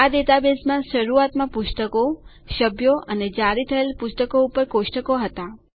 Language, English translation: Gujarati, This database initially had tables on books, members and books issued